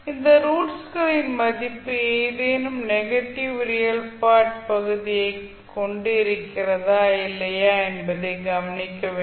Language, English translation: Tamil, You have to observe whether the value of those roots are having any negative real part or not